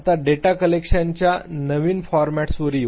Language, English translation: Marathi, Now, let us come to new formats of data collections